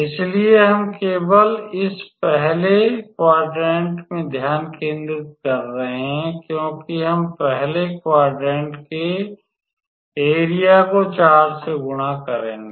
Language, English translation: Hindi, So, we are just focused in this first quadrant because we will multiply the area of the first quadrant by 4 ok